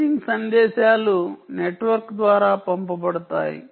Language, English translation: Telugu, right, paging messages are sent down by the network